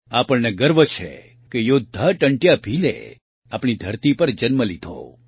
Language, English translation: Gujarati, We are proud that the warrior Tantiya Bheel was born on our soil